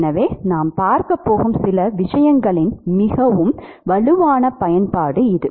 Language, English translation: Tamil, So, it is a very strong application of some of the things that we are going to see